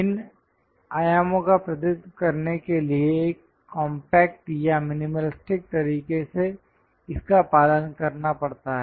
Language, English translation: Hindi, One has to follow it in a compact or minimalistic way of representing this dimensions